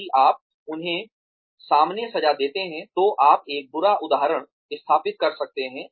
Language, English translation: Hindi, If you punish them up front, then you could be setting a bad example